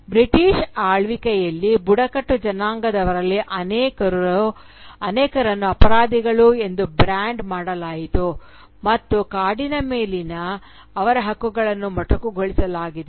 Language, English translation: Kannada, Under the British rule, many of the tribals were branded as criminals and their rights to the forest were curtailed